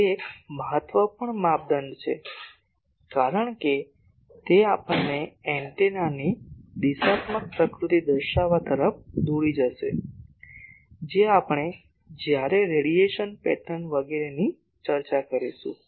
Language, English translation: Gujarati, That is an important criteria, because it will lead us to characterize the directional nature of the antenna, which we will discuss when we discuss the radiation pattern etc